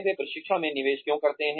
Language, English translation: Hindi, Why do they invest in training